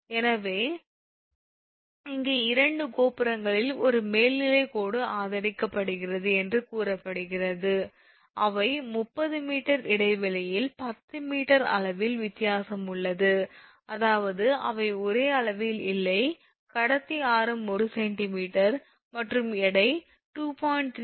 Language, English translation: Tamil, So, here it is said that an overhead line is supported on 2 towers, they are 30 meter apart right having a difference in level of 10 meter; that means, they are not at the same level, the conductor radius is 1 centimeter and weights is 2